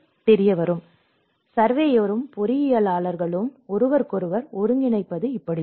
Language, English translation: Tamil, So, this is how the surveyor and the engineers will coordinate with each other